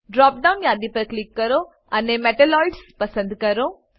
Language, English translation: Gujarati, Click on the drop down list and select Metalloids